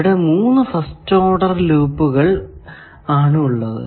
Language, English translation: Malayalam, Then, we have third order loop